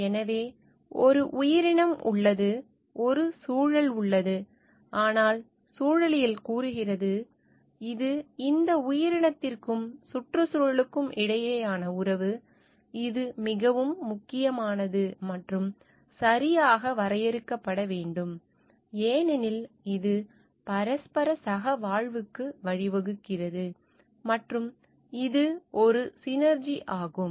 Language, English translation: Tamil, So, there is an organism and there is an and it has an environment, but the ecology states, it is the relationship between this organism and environment, which is very important, and which needs to be defined properly, because it leads to mutual coexistence, and a synergy